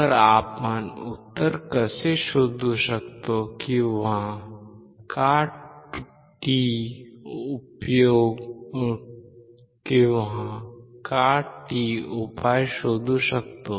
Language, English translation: Marathi, So, let us see how you can find the answer or why t can find the solution